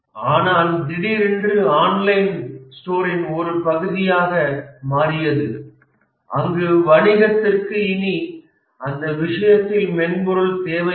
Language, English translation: Tamil, But suddenly it became part of an online store where customers don't visit the company, the business anymore